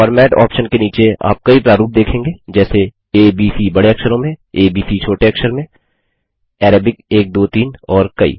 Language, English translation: Hindi, Under the Format option, you see many formats like A B C in uppercase, a b c in lowercase, Arabic 1 2 3 and many more